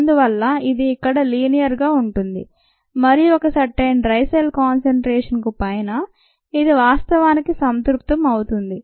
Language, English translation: Telugu, so it is going to be linear here and above a certain dry cell concentration it is actually going to saturate